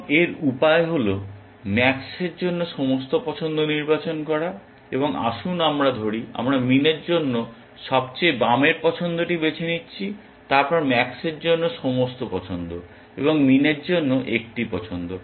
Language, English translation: Bengali, And the way to that is to select all choices for max, one choice and let us say, arbitrarily we are choosing the left most choice for min then all choices for max and one choice for min